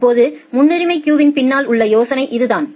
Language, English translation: Tamil, Now, that is the idea behind priority queue